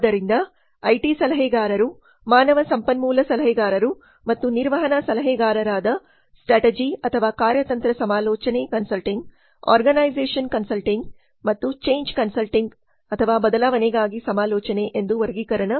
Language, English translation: Kannada, So classification there are IT consultants HR consultants and management consultants like strategy consulting, organization consulting and change consulting